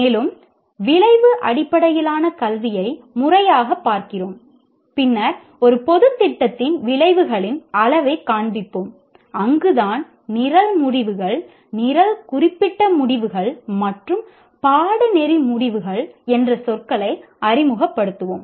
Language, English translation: Tamil, And then we look at outcome based education formally and then levels of outcomes in a general program that is where we will introduce the words, program outcomes, program specific outcomes and course outcomes